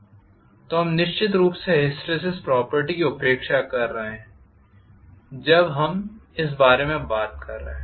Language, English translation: Hindi, So we are neglecting of course hysteresis property when we are talking about this